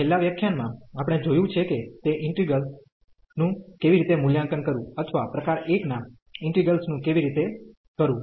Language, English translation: Gujarati, In the last lecture we have seen how to evaluate those integrals or the integrals of a type 1